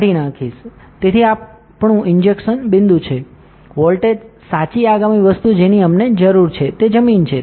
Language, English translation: Gujarati, So, this is our injection point of the voltage correct next thing what we need is ground